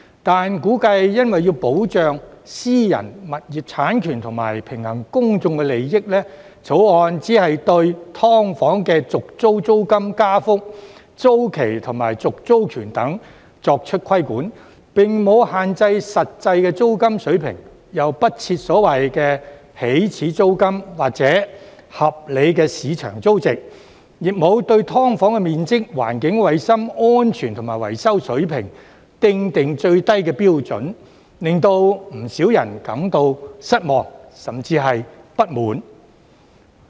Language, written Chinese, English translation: Cantonese, 但是，估計為保障私人物業產權及平衡公眾利益，《條例草案》只監管"劏房"的續租租金加幅、租期及續租權等，並沒有限制實際租金水平，又不設所謂的"起始租金"或"合理市場租值"，亦沒有對"劏房"的面積、環境、衞生、安全及維修水平訂定最低標準，令不少人感到失望，甚至不滿。, However probably in a bid to protect private property rights and balance public interest the Bill only regulates the rate of rent increase on tenancy renewal the term of tenancy the right to renew a tenancy of SDUs and so on without restricting the actual rent level setting a so - called initial rent or reasonable market rent or setting out the minimum standards for the size environment hygiene safety and maintenance conditions of SDUs which has made many people feel disappointed or even dissatisfied